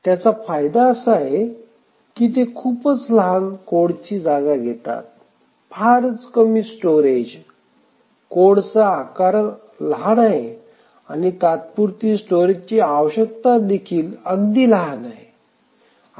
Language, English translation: Marathi, So, the advantage of these are these take very small code space, very little storage, the code size is small and even the temporary storage requirement is very small